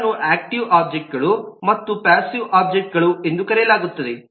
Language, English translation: Kannada, they are called active objects and passive objects